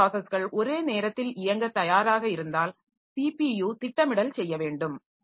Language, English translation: Tamil, If several processes are ready to run at the same time we need to have CPU scheduling